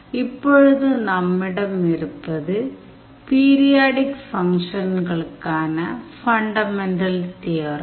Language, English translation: Tamil, Now, fundamental theorem on periodic function